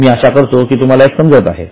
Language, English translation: Marathi, I hope you are getting it